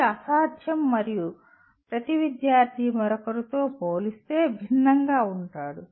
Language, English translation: Telugu, It is impossible and each student is different from the other